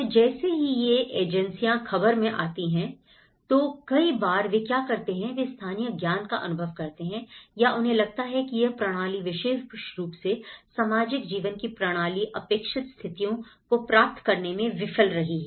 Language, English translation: Hindi, So, the moment when these NGOs when these agencies come into the picture, many at times what they do is they perceive the local knowledge, they perceive that this system, this particular social system has failed to receive the expected conditions of life from the system